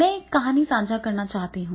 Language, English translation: Hindi, I would like to share one story